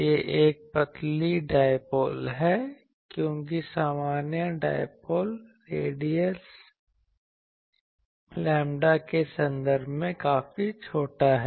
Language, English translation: Hindi, It is a thin dipole, because the usually dipoles radius is quite small in terms of lambda